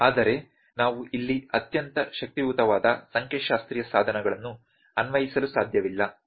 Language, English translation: Kannada, But we cannot apply very powerful statistical tools here